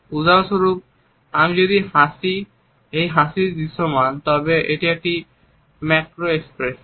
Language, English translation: Bengali, For example, if I smile , it is a macro expression